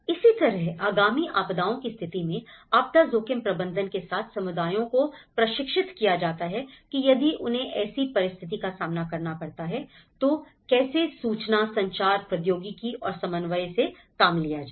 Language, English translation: Hindi, Similarly, how the communities are trained with the disaster risk management in the event of the upcoming disasters, how they have to face and the information, communication technology and coordination